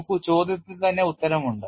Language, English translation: Malayalam, See the answer is there in the question itself